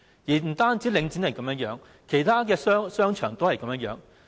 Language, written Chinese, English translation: Cantonese, 不單領展是這樣，其他商場同樣如此。, This is not only the case with Link REIT but also with other shopping centres